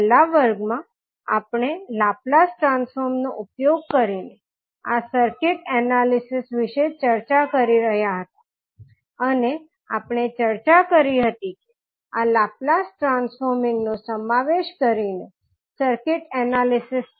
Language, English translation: Gujarati, So, in the last class we were discussing about this circuit analysis using laplace transform and we discussed that these are circuit analysis using laplace transforming involves